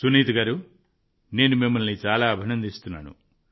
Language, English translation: Telugu, Well Sunita ji, many congratulations to you from my side